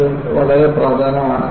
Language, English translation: Malayalam, And, that is also very important